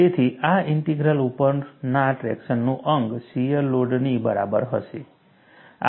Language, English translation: Gujarati, So, the integral of the traction on this, would be equal to the shear load